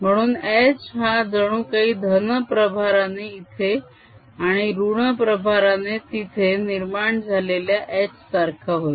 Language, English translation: Marathi, so h is going to be like we are giving rise to an h which is with positive charge here and negative charge here